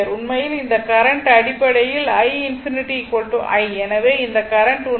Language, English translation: Tamil, So, this current this is actually i infinity is equal to i